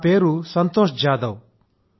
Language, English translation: Telugu, My name is Santosh Jadhav